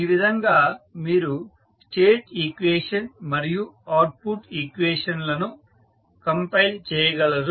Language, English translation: Telugu, So, this is how you compile the state and the output equations